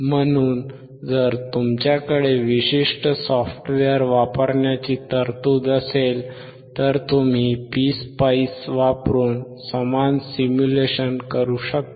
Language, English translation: Marathi, So, you can perform the same simulation using PSpice, if you have the provision of using that particular software